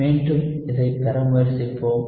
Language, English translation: Tamil, So, again, let us try to derive this